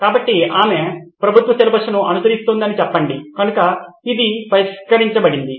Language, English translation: Telugu, So let’s say she is following a government syllabus so that’s fixed